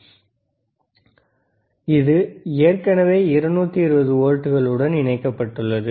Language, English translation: Tamil, So, can we it is already connected to 220 volts